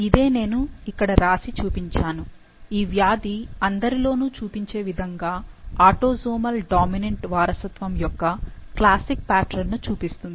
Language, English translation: Telugu, Now that's what I have written here, which you can very well read that this disease shows the classic pattern of autosomal dominant inheritance as it is seen in all and Anamika has